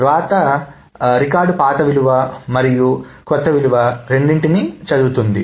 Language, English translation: Telugu, And the right records read both the old value and the new value